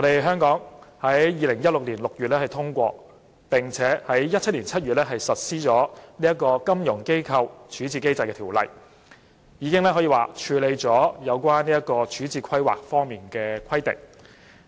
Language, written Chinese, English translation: Cantonese, 香港在2016年6月通過，並於2017年7月實施《金融機構條例》，已履行有關處置規劃方面的規定。, The Financial Institutions Resolution Ordinance enacted in Hong Kong in June 2016 and implemented in July 2017 complied with the resolution planning requirement